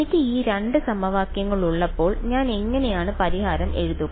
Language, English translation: Malayalam, When I had these 2 equations, how did I write the solution